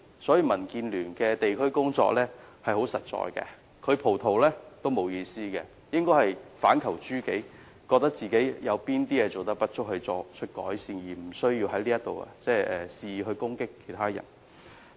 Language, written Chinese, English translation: Cantonese, 因此，民建聯的地區工作十分實在，他"葡萄"我們也沒有意思，他應反求諸己，看看自己有何不足而作出改善，無須在此肆意攻擊別人。, Hence the district work of DAB is very practical . It is meaningless for him to turn green with envy . He should identify his own inadequacies through self - reflection and seek improvement rather than attacking others arbitrarily